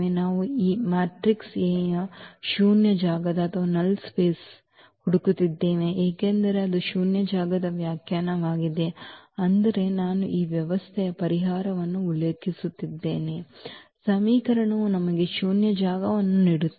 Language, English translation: Kannada, We are looking for the null space of this null space of this matrix A because that was the definition of the null space that all the I mean the solution of this system of equation gives us the null space